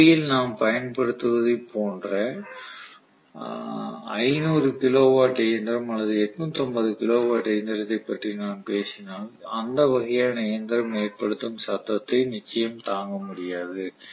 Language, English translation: Tamil, If I am talking about a 500 kilo watt machine or 850 kilo watt machine like what we use in traction it will be impossible to withstand that kind of a noise